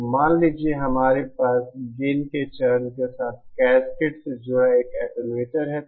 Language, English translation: Hindi, So suppose, we have an attenuator connected in cascade with the gain stage